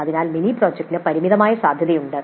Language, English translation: Malayalam, So, the mini project has a limited scope